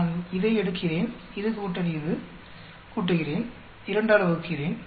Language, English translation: Tamil, I will take this plus this, add up, divide it by 2